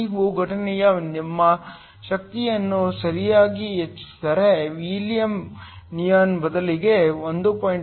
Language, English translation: Kannada, If you increased our energy of the incident right, so instead of helium neon with 1